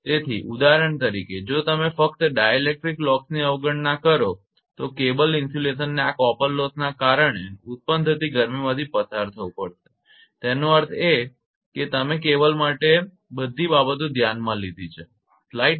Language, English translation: Gujarati, So, neglecting the dielectric losses for example, you just neglect dielectric loss the cable insulation has to pass the heat generated due to this copper losses so; that means, all these things you have consider for a cable right